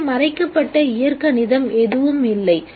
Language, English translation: Tamil, There is no hidden algebra here